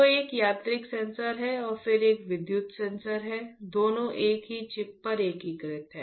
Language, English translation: Hindi, So, there is a mechanical sensor and then there is an electrical sensor, both are integrated on a single chip